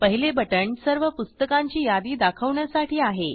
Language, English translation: Marathi, The first one is to list all the books